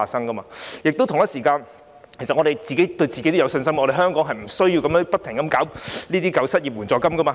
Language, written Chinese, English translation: Cantonese, 我們同時也要對自己有信心，香港並不需要長期推行失業援助金計劃。, We should at the same time have confidence in ourselves and there will not be a need for Hong Kong to implement an unemployment assistance scheme on a long - term basis